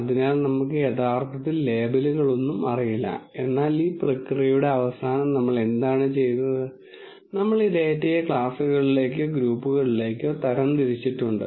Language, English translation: Malayalam, So, we originally do not know any labels, but at the end of this process at least what we have done is, we have categorized this data into classes or groups